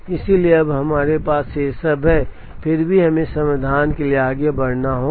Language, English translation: Hindi, So now, we have all these then we still need to proceed to get to the solution